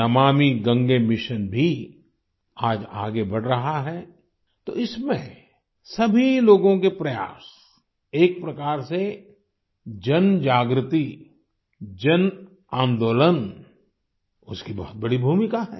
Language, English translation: Hindi, The Namami Gange Mission too is making advances today…collective efforts of all, in a way, mass awareness; a mass movement has a major role to play in that